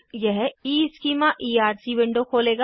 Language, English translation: Hindi, This will open the EEschema Erc window